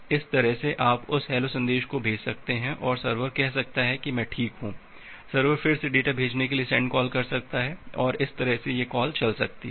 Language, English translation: Hindi, Now that way, you can send that hello message and the server can say I am fine, server can again make a send call to send server can again make a send call to send for the data and that way this call can go on